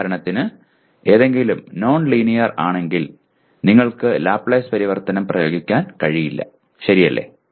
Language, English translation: Malayalam, For example if something is nonlinear you cannot apply Laplace transform, okay